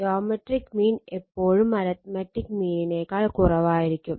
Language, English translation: Malayalam, So, geometric mean is less than the arithmetic mean except they are equal